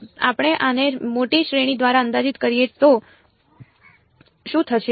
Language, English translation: Gujarati, What if we approximate this by a larger series right